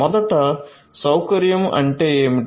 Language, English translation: Telugu, What is facility first of all